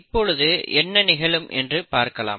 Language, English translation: Tamil, Now let us look at what will happen